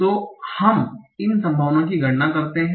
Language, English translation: Hindi, So let us compute these probabilities